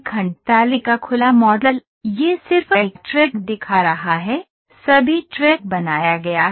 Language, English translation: Hindi, So segment table open model, this is just showing a track all the track is built